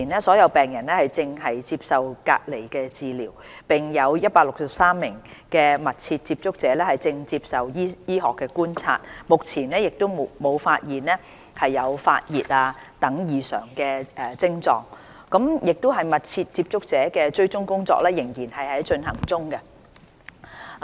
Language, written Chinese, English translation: Cantonese, 所有病人目前正接受隔離治療；有163名密切接觸者正接受醫學觀察，目前沒有發現發熱等異常症狀，密切接觸者的追蹤工作仍在進行。, At present all patients are receiving treatment in isolation while 163 close contacts are under medical surveillance . So far none of them have developed abnormal symptoms such as fever . The tracing of close contacts is still ongoing